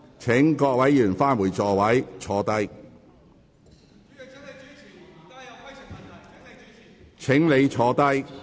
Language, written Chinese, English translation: Cantonese, 請各位議員返回座位。, Will Members please return to their seats